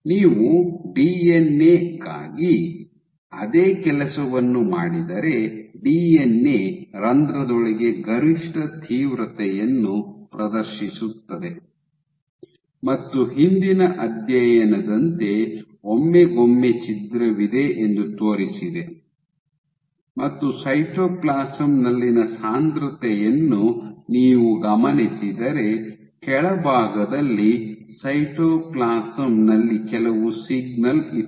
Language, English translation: Kannada, So, versus if you do the same thing for the DNA, the DNA exhibited the reversing DNA exhibits maximum intensity inside the pore and every once in a while like the previous study which showed that there is ruptured if you track to the concentration in the cytoplasm, in the bottom there was some signal in the cytoplasm also suggesting